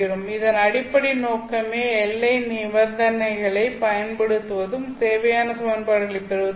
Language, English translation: Tamil, So that's essentially the objective of applying boundary conditions and deriving the necessary equations